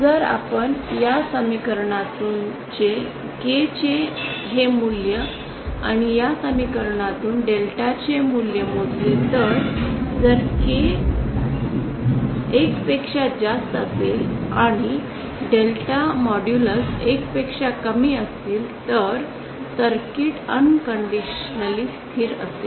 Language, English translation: Marathi, If you compute this value of K from this equation and the value of delta from this equation then if K is greater than 1 and the modulus of delta is lesser than 1 then the circuit will be unconditionally stable